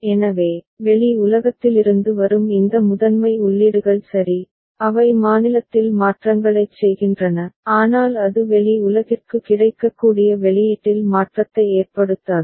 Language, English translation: Tamil, So, these primary inputs that is coming from the external world all right, they are effecting changes in the state ok, but it is not effecting change in the output that is made available to the outside world